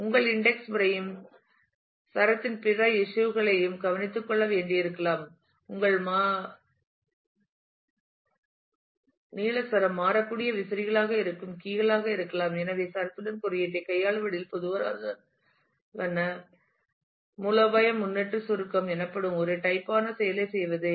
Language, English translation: Tamil, There are your indexing also may need to take care of other issues of string your variable length string could be keys which are variable fan out and so, the general strategy in handling indexing with string is to do a kind of what is known as prefix compression